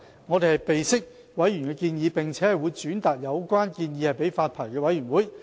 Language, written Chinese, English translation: Cantonese, 我們備悉此建議，並會轉達給發牌委員會。, We noted this suggestion and will relay it to the Licensing Board